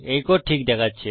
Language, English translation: Bengali, This code looks okay